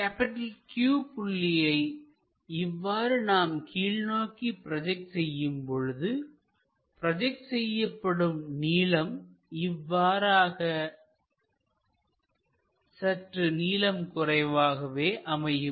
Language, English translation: Tamil, So, if we are projecting that line q all the way down, because this is the one which makes a projection of this length up to this